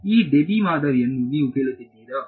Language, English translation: Kannada, You are asking for this Debye model